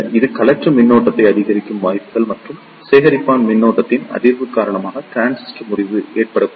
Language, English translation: Tamil, So, there are chances that it may increase the collector current and they could be a case that because of the increase in collector current the transistor may breakdown